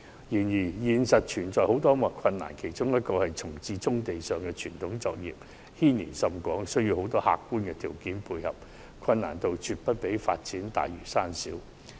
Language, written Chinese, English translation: Cantonese, 然而，實際操作有很多困難，其中之一是重置棕地上的傳統作業，牽連甚廣，需要眾多客觀條件配合，難度絕不下於發展大嶼山。, However there are many difficulties in practical operation . For example the relocation of traditional operations on brownfield sites which has far - reaching implications requires the alignment of many objective conditions . It is no less difficult than developing Lantau Island